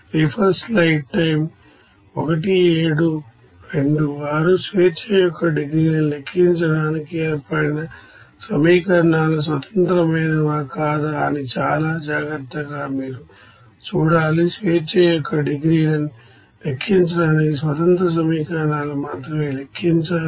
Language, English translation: Telugu, And for calculating degrees of freedom you have to be very careful whether those equations formed are independent or not, only independent equations to be counted to calculate the degrees of freedom